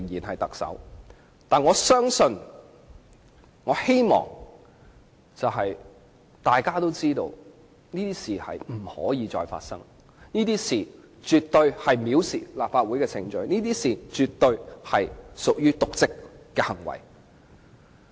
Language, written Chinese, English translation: Cantonese, 可是，我相信並希望大家知道，這種事不能再次發生，這種事絕對構成藐視立法會程序，絕對屬於瀆職行為。, However I believe and hope everyone knows that such things must not happen again for they absolutely amount to contempt of the Legislative Councils proceedings and constitute dereliction of duty